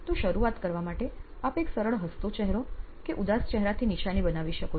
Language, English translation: Gujarati, So, you can mark them out to begin with just a simple smiley and a sad face